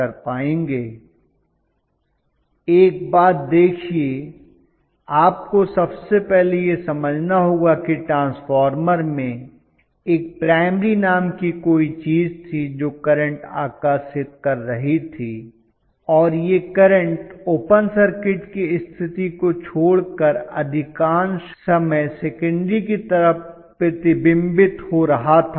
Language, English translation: Hindi, See one thing is you have to understand first of all that in the transformer, there was something called a primary which was drawing the current and that current was reflecting on to the secondary side, most of the time except for open circuit condition